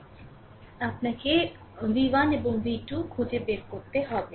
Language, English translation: Bengali, So, so, you have to find out v 1 and v 2